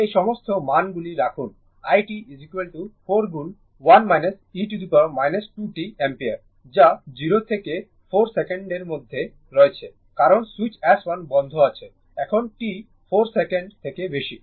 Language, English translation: Bengali, Put all these values you will get i t is equal to 4 into 1 minus e the power minus 2 t ampere that is in between 0 ah and 4 second because switch S 1 is closed right now for t greater than 4 second